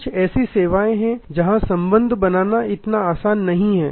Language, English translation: Hindi, There are certain services where creating relationship is not that easy